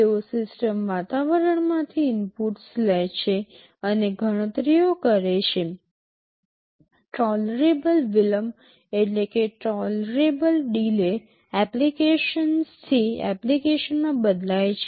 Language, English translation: Gujarati, They take inputs from the system environment and should carry out the computations; the tolerable delay varies from application to application